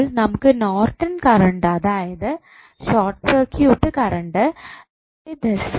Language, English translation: Malayalam, So, now you got Norton's current that is the short circuit current as 4